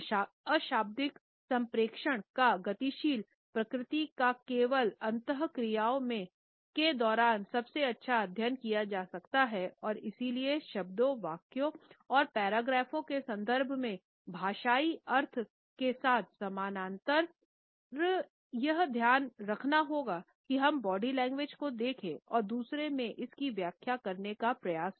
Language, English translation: Hindi, The dynamic nature of nonverbal communication is best studied during interactions only and therefore, this parallel with linguistic meaning in terms of words, sentences and paragraphs has to be kept in mind whenever we look at the body language and try to interpret it in others